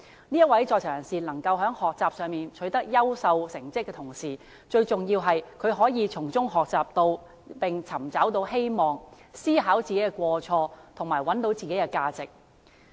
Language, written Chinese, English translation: Cantonese, 這位在囚人士能夠在學習上取得優秀成績的同時，最重要的是他可以從中學習並尋找到希望，思考自己的過錯，找到自己的價值。, He succeeded in attaining good academic results but most importantly he was able to find hope reflect upon his mistakes and found his own worth in the process